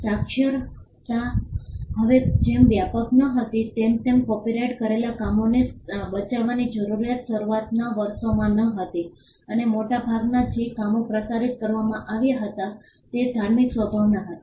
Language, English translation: Gujarati, Since literacy was not widespread as it is now, the need for protecting copyrighted works was not there in the initial years and largely the works that were circulated were of religious nature